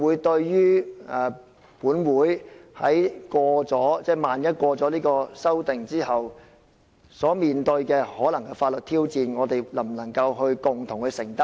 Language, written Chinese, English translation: Cantonese, 對於萬一本會因通過這項修訂而可能面對的法律挑戰，我們能否共同承擔呢？, In the event that this Council faces a legal challenge due to the passage of this amendment can we bear it together?